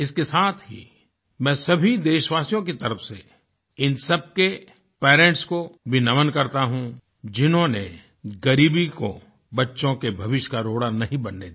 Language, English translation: Hindi, Along with this, I also, on behalf of all our countrymen, bow in honouring those parents, who did not permit poverty to become a hurdle for the future of their children